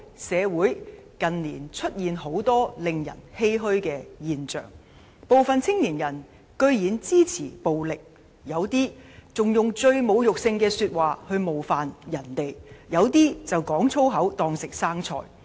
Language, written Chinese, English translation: Cantonese, 社會近年出現很多令人欷歔的現象：部分青年人居然支持暴力，有人以侮辱性言語冒犯他人，有人則"講粗口當食生菜"。, In recent years some social phenomena are lamentable some young people blatantly support violence some use insulting language to hurl abuses while some always speak foul language